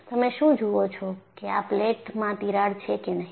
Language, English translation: Gujarati, Do you see that there is a crack in this plate